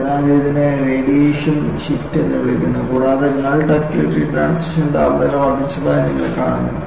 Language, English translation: Malayalam, So, this is called radiation shift and you find the nil ductility transition temperature has increased